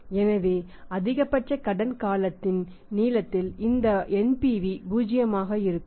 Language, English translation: Tamil, So, at this length of the credit period which is the maximum length of credit period NPV should be zero rights